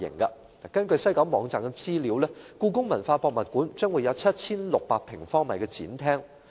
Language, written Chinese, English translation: Cantonese, 根據西九管理局網站的資料，故宮館將會有 7,600 平方米的展廳。, According to information on the WKCDA website HKPM will have 7 600 sq m of gallery space